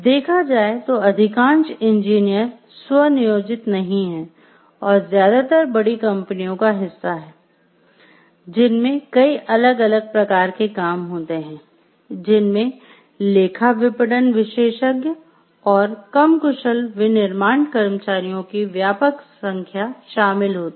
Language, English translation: Hindi, So, most engineers are not self employed, but most often there is part of a larger companies involving, many different occupations including accountants, marketing specialists and extensive numbers of less skilled manufacturing employees